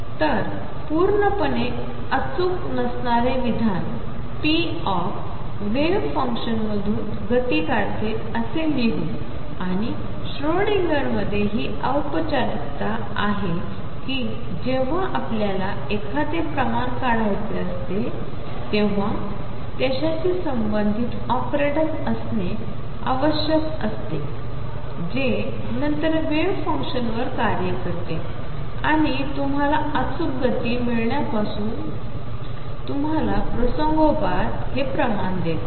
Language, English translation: Marathi, So, in a very loose statement I will just write this p operator extracts the momentum from a wave function and that is the formalism in Schrödinger that whenever you want to extract a quantity it has to have a corresponding operator that then acts on the wave function and gives you that quantity incidentally here since you get exact momentum